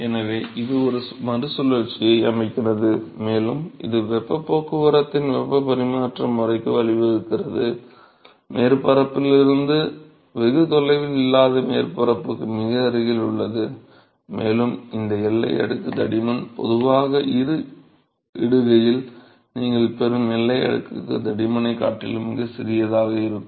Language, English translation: Tamil, So, this sets up a recirculation and this leads to a convective mode of heat transport, very close to the surface not far from the surface and this boundary layer thickness is, typically much smaller than the boundary layer thickness that you would get in a post convection period